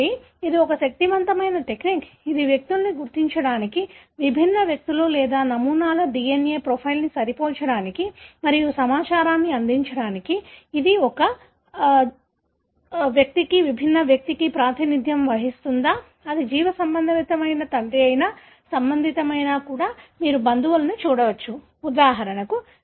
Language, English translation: Telugu, So, this is such a powerful technique which, which people use to identify the, match the DNA profile of different individuals or samples and give information, whether it represent the same person, different person, whether it is a biological father or related, even you can look at relatives, for example